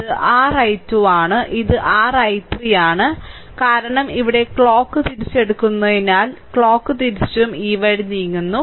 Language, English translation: Malayalam, So, this is your i 2 and this is your i 3 because you are taking clock wise here also clock wise moving this way